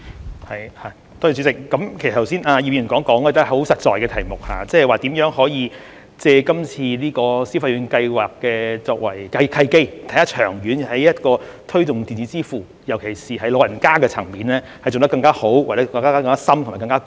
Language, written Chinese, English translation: Cantonese, 葉劉淑儀議員剛才所說的，也是相當實在的問題，即是如何可以借今次消費券計劃——作為契機，長遠推動電子支付，尤其是在長者的層面做得更好、更深和更廣。, What Mrs Regina IP has just said is also a very practical issue ie . how we can make use of the Scheme as an opportunity to promote electronic payment in the long run especially among the elderly in a better deeper and broader manner